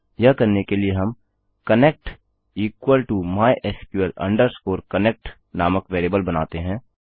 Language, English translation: Hindi, To do this we create a variable called connect equal to mysql connect